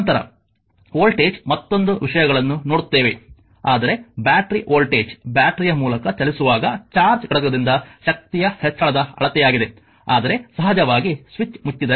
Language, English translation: Kannada, Later will see the your voltage another things , but the battery voltage is a measure of the energy gain by unit of charge as it moves through the battery, but of course, if the switch is switch is closed right